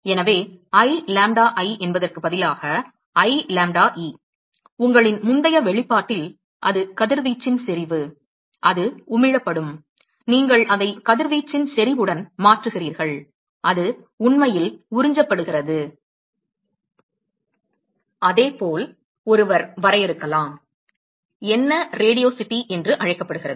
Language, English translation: Tamil, So, instead of I lambda i, I lambda e in your earlier expression, where it is the intensity of radiation, that is emitted, you replace it with the intensity of radiation, that is actually absorbed, and similarly one could define, what is called Radiosity